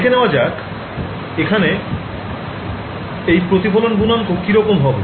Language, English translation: Bengali, So, let us look at the reflection coefficient over here what is this reflection coefficient look like